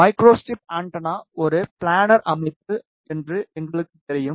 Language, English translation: Tamil, And since we know micro strip antenna is a planar structure